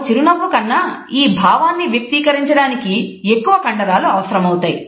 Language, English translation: Telugu, It really does take more muscles to frown than it does to smile